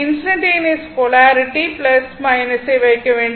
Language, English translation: Tamil, And it is instantaneous polarity